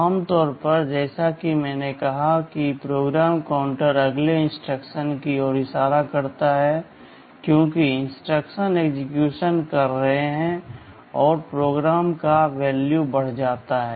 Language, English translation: Hindi, Normally as I said PC will be pointing to the next instruction to be executed, as the instructions are executing the value of the PC gets incremented